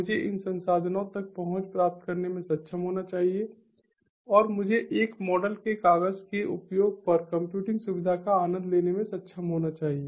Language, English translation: Hindi, i should be able to get access to these resources and i should be able to enjoy the computing facility on a paper use kind of modeled